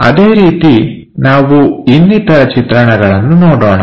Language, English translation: Kannada, Similarly, let us look at other views